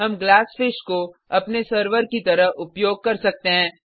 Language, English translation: Hindi, We are using Glassfish as our server